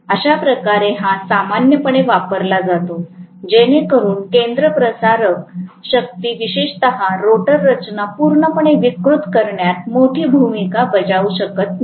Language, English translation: Marathi, That is how it is used normally, so that the centrifugal forces do not play a major role especially in deforming the rotor structure completely